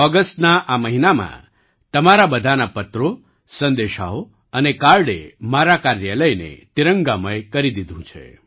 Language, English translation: Gujarati, In this month of August, all your letters, messages and cards have soaked my office in the hues of the tricolor